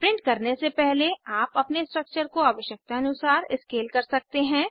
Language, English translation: Hindi, You can also scale your structure as required before printing